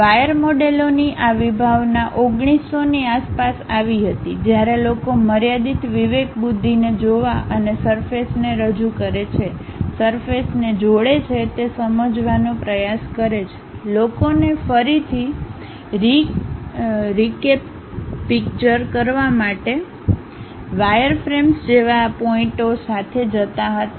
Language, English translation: Gujarati, This concept of wire models came around 1900, when people try to look at finite discretization and try to understand that represent the surfaces, connect the surfaces; to recapture people used to go with these dots like wireframes